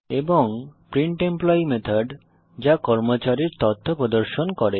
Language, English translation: Bengali, And Method printEmployee which displays the Employee information